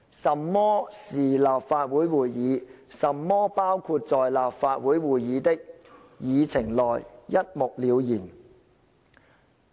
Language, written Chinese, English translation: Cantonese, 甚麼是立法會會議，甚麼包括在立法會會議的議程內，一目了然。, It clearly defines the meaning of Legislative Council meeting and the items to be included in the agenda of Legislative Council meeting